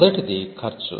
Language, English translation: Telugu, The first one is the cost